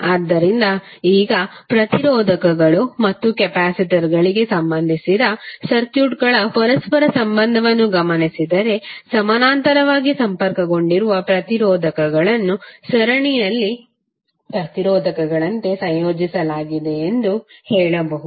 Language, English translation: Kannada, So now if you observe the, the correlation of the circuits related to resistors and the capacitors, you can say that resistors connected in parallel are combined in the same manner as the resistors in series